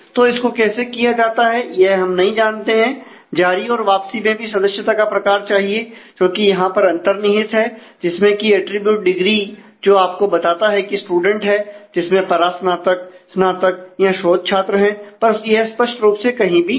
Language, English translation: Hindi, So, how is that handled we do not know then issue return also needs the member type which is implicit here in terms of the field in terms of the attribute degree which tells you that student is a undergraduate postgraduate or research, but it is not explicitly maintained anywhere